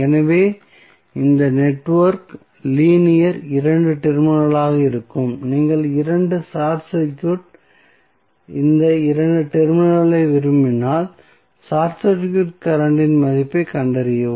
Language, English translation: Tamil, So, this network would be linear 2 terminal was you want 2 short circuit these 2 terminal and find out the value of circuit current